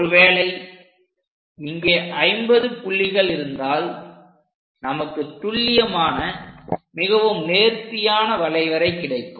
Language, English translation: Tamil, If we have 50 points, then accuracy will be nice, and we will have a very smooth curve